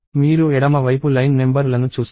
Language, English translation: Telugu, So, on the left side if you see there are line numbers